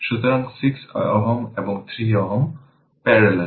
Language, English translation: Bengali, So, 6 ohm and 3 ohm are in parallel right